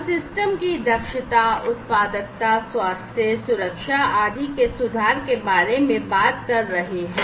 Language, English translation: Hindi, So, we are talking about improvement of efficiency, productivity, health, safety, etcetera of the systems